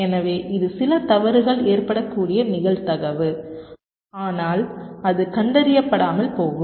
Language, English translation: Tamil, so this is the probability with which some fault may occur, but it will go undetected